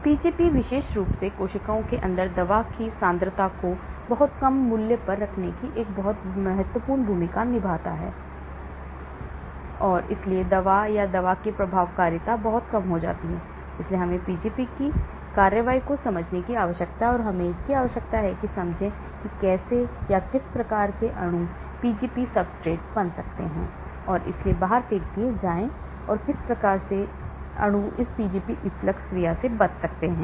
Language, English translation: Hindi, And Pgp plays a very important role especially in keeping the concentration of the drug to very low value inside the cells and hence the efficacy of the drug or the drug action becomes very minimal, so we need to understand the action of Pgp and we need to understand how or what type of molecules can become Pgp substrate and hence get thrown out and what type of molecules can escape this Pgp efflux action